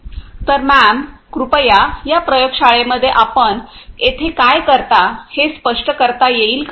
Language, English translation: Marathi, So, ma’am could be please explain what you do over here in this lab